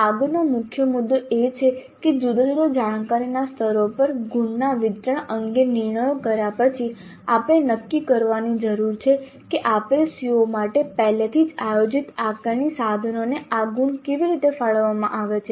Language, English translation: Gujarati, Then we need to decide the next major issue is that having decided on the distribution of marks to different cognitive levels we need to decide how these marks are allocated to the assessment instruments already planned for a given CIO